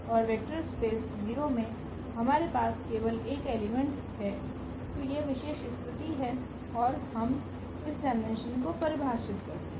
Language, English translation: Hindi, And the vector space 0 so, this is the special case when we have only one element that is 0 and we define this dimension as 0